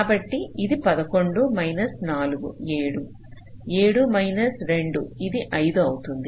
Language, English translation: Telugu, eleven minus three, it will be eight